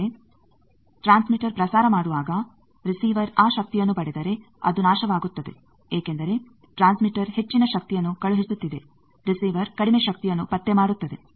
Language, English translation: Kannada, But when the transmitter is transmitting if receiver gets that power then receiver will be destroyed because transmitter is sending high power, receiver is detecting very low power